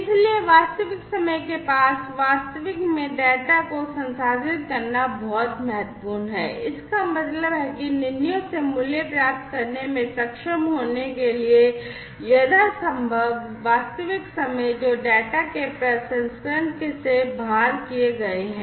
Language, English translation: Hindi, So, it is very important to process the data in real near real time; that means as much real time as possible in order to be able to have value out of the decisions, that are made out of the processing of the data